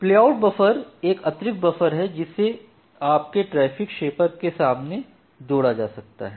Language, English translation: Hindi, So, playout buffer is an additional buffer, which can be added in front of your traffic shaper